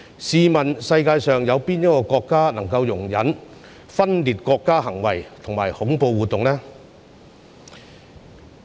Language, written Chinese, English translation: Cantonese, 試問世界上有哪個國家可以容忍分裂國家行為及恐怖活動呢？, Which country in the world can tolerate secession behaviour and terrorist activities?